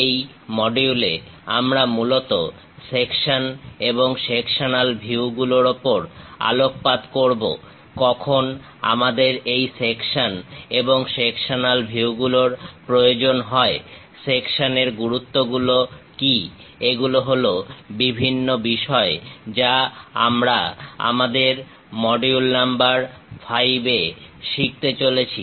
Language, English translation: Bengali, In this module, we will mainly focus on Sections and Sectional Views; when do we require this sections and sectional views, what are the importance of the sections; these are the things what we are going to learn in our module number 5